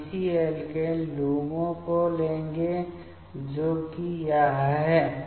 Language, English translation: Hindi, We will take the corresponding alkene LUMO that is this